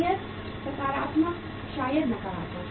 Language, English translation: Hindi, Maybe positively, maybe negatively